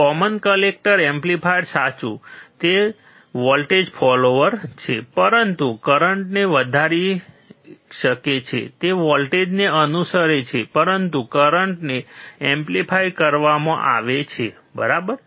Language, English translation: Gujarati, Common collector amplifier, right, it is a voltage follower, but can increase the current is follows a voltage, but current is amplified, right